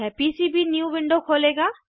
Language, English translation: Hindi, This will open PCBnew window